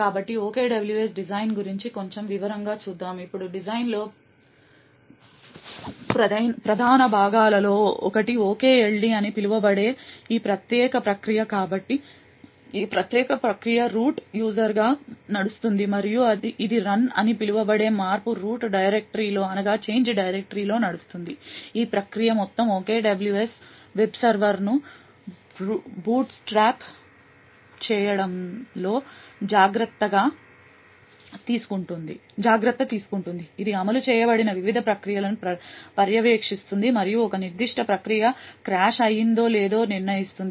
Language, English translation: Telugu, So let us look a little more in detail about the OKWS design, now one of the main components in the design is this particular process known as the OKLD, so this particular process runs as a root user and it runs in a change root directory called run, this particular process takes care of bootstrapping the entire OKWS web server, it monitors the various processes which are executed and it determines if a particular process has crashed